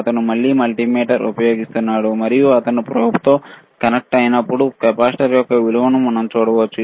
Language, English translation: Telugu, He is using the same multimeter, and when he is connecting with the probe, we can see the value of the capacitor which is around 464